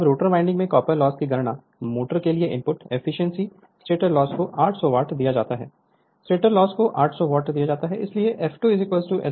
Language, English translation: Hindi, Compute the copper loss in the rotor windings, the input to the motor, the efficiency, the stator loss is given to be your 800 watt, the stator loss is given 800 watt, so f 2 is equal to S f